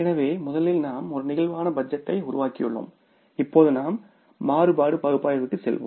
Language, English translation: Tamil, So, first we have created the flexible budget and now we will go for the variance analysis